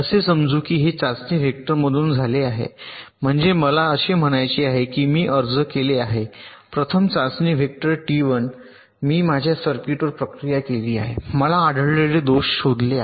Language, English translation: Marathi, what i mean to say is that suppose i have a applied the first test vector, t one, i have processed my circuit, i have find out the faults detected